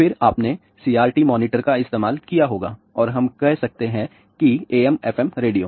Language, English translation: Hindi, Then you might have used CRT monitors and you can say that AM FM radio